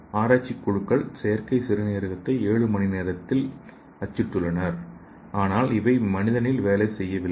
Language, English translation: Tamil, So these groups have printed the artificial kidney in seven hours but these are not functional in human